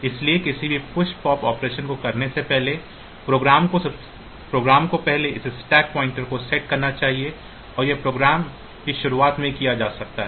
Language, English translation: Hindi, So, for so, before doing any push swap operation the program should first set this stack pointer and that may be done at the beginning of the program and later on when it is